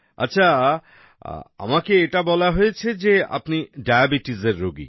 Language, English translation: Bengali, Well, I have been told that you are a diabetic patient